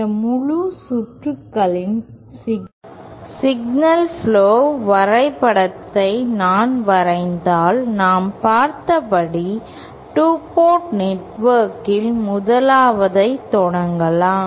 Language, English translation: Tamil, And if I draw the signal flow graph diagram of this entire circuit, so we can start with the 1st, just for a 2 port network as we have seen